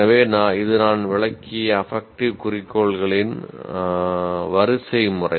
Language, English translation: Tamil, So, this is the hierarchy of affective goals that I have explained